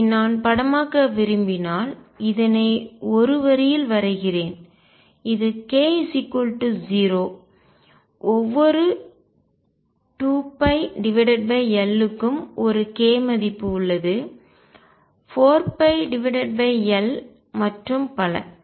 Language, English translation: Tamil, So, if I want to picturize this suppose I draw it on a line this is k equal to 0 every 2 pi over L there is 1 k value 4 pi over L and so on